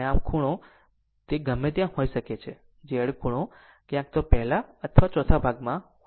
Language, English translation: Gujarati, So, angle can be anywhere for Z angle will be either first or in the fourth quadrant right